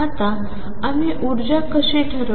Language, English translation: Marathi, Now, how do we determine the energy